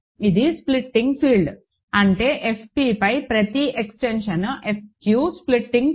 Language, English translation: Telugu, So, it is a splitting field; that means, every extension F q over F p is a splitting field